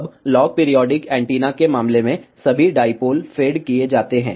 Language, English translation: Hindi, Now, in case of log periodic antenna, all the dipoles are fed